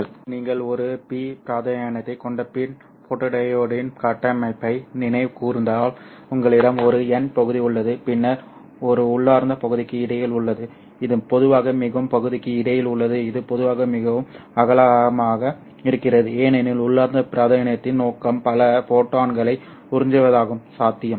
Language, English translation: Tamil, Now if you recall the structure of a P I N photodiod you have a P region, you have an N region and then there is in between an intrinsic region which is usually quite wide because the objective of the intrinsic region is to absorb as many photons as possible